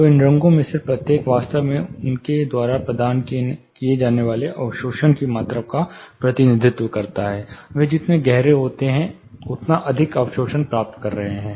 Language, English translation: Hindi, So, each of these colors actually in this tool, it represents the amount of absorption they provide, the darker they are the more absorption you get